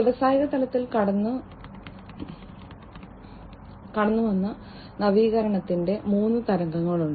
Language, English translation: Malayalam, So, there are three waves of innovation that have gone through in the industrial level